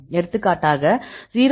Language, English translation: Tamil, For example this is 0